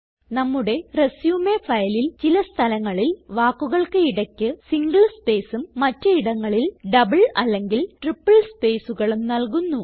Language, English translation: Malayalam, In our resume file, we shall type some text with single spaces in between words at few places and double and triple spaces between words at other places